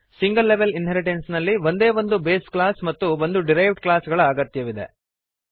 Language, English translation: Kannada, In single level inheritance only one base class and one derived class is needed